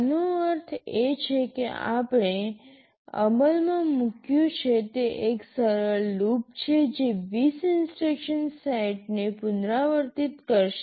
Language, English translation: Gujarati, This means this is a simple loop we have implemented that will be repeating a set of instructions 20 times